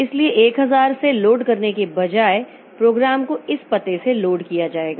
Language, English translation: Hindi, So instead of loading from thousand the program will be loaded from this address